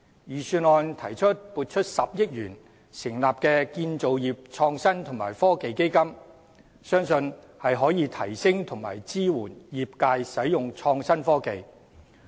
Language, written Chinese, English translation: Cantonese, 預算案提出撥款10億元成立建造業創新及科技基金，相信可以提升和支援業界使用創新科技。, The Budget proposed to set up a 1 billion Construction Innovation and Technology Fund which I believe can boost the capacities of the industry and provide support to it in harnessing innovative technology